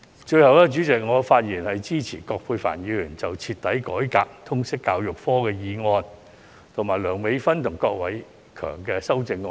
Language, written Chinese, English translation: Cantonese, 最後，我發言支持葛珮帆議員所提出"徹底改革通識教育科"的議案，以及梁美芬議員及郭偉强議員的修正案。, With these remarks I support the motion on Thoroughly reforming the subject of Liberal Studies moved by Ms Elizabeth QUAT and the amendments of Dr Priscilla LEUNG and Mr KWOK Wai - keung